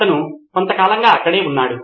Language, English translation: Telugu, He was around for a quite a while